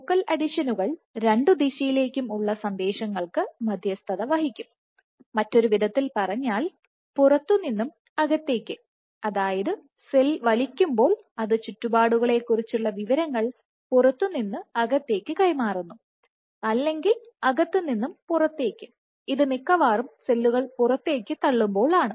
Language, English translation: Malayalam, So, focal adhesions, they would mediate bi directional signaling, in other words you can have outside in or when the cell is pulling it is transmitting information about the surroundings from the outside to the inside, or you can have inside out in which the cells probably pushing outside